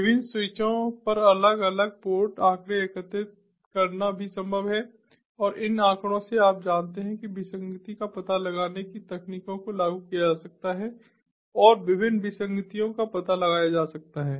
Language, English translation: Hindi, it is also possible to collect different port statistics at the different switches and thereby, from these statistics, you know, anomaly detection techniques can be implemented and different anomalies can be found out